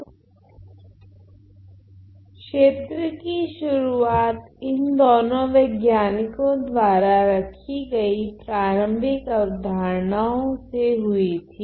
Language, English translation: Hindi, So, the area started with the initial ideas put forward by these two scientists